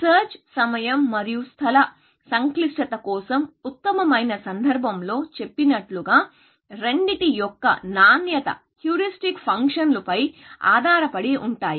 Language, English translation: Telugu, Again, like we said in case of best for search, time and space complexity, both depend upon the quality of the heuristic function